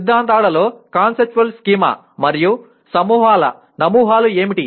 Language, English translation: Telugu, What are conceptual schemas and models in theories